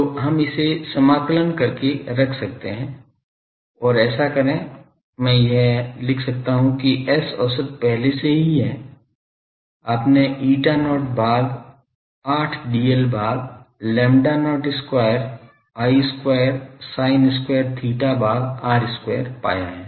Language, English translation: Hindi, So, we can put that do this integration and it so, I can write this that S average will be already, you have found eta not by 8 dl by lambda not square I square sin square theta by r square